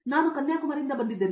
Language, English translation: Kannada, So, I am actually from Kanyakumari